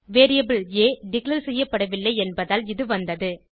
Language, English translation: Tamil, It occured, as the variable a was not declared